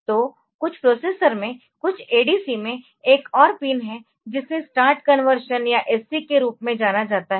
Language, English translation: Hindi, So, in some of the processer some of the ADC's so, there is another pin which is known as start conversion or SC start conversion